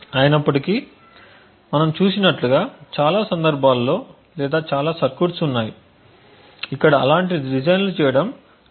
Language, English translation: Telugu, However, as we have seen there are many cases or many circuits where making such designs is incredibly difficult to do